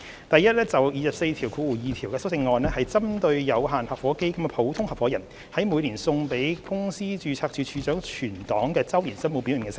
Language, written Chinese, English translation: Cantonese, 第一，第242條的修正案是針對有限合夥基金的普通合夥人在每年送交公司註冊處處長存檔的周年申報表內的聲明。, First the amendment to clause 242 deals with the declaration in the annual return filed by the general partner in limited partnership funds LPF with the Registrar of Companies on an annual basis